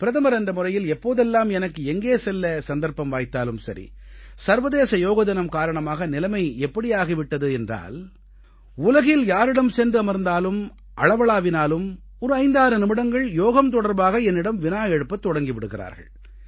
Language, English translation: Tamil, I have seen that whenever I have had the opportunity to go as Prime Minister, and of course credit also goes to International Yoga Day, the situation now is that wherever I go in the world or interact with someone, people invariably spend close to 57 minutes asking questions on yoga